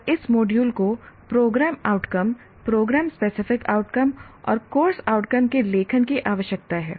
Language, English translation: Hindi, And this module requires a writing of program outcomes, program specific outcomes, and course outcomes